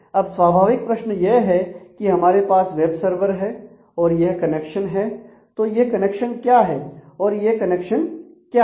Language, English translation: Hindi, So, if the question is naturally if we have the web server and we have these connections this is clear; now the question is what is this connection and what is this connection